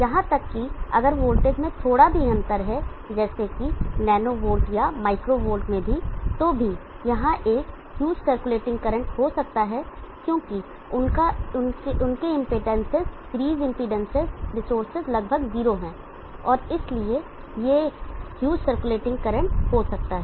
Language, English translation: Hindi, Even if there is a small difference in the voltage, even the nano holes or micro holes, there can be a huge circulating current, because their impedances, the series impedances, resources are almost 0, and then there can be a huge circulating current